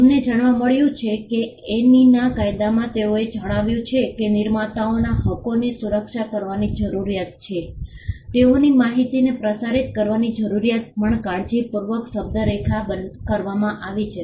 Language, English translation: Gujarati, We found that in the statute of Anne though they have mentioned that there is a need to protect the rights of the creators they are also carefully worded the need to disseminate information as well